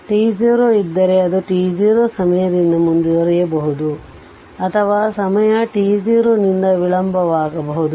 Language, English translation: Kannada, Previously also if so in t 0 right it may be advanced by time t 0 or delayed by time t 0